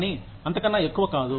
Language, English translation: Telugu, But, not more than that